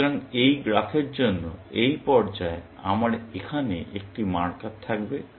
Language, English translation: Bengali, So, for this graph, at this stage, I would have a marker here